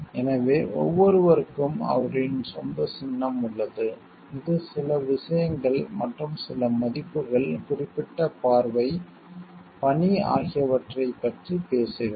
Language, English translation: Tamil, So, this is like everyone has their own symbol, which speaks of certain things and certain values certain like vision, mission